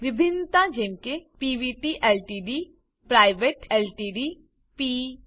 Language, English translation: Gujarati, Variations like Pvt Ltd, Private Ltd, P, P